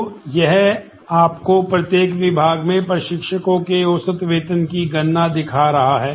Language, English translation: Hindi, So, this is showing you the computation of average salary of instructors in each department